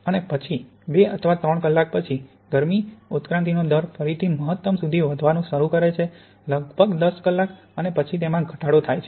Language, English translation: Gujarati, And then after two or three hours the rate of heat evolution starts to increase again to a maximum at about ten hours and then it decreases